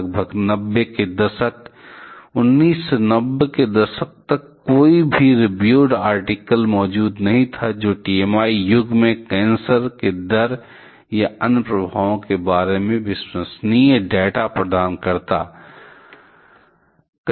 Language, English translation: Hindi, Till about late 90s, 1990s, no peer reviewed article was present which provides reliable data about the rate of cancer or other effects in the posts TMI era